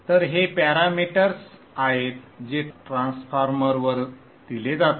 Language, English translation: Marathi, So this is the parameters that is passed on to the transformer